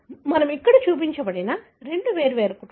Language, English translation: Telugu, So, what we have shown here is two different families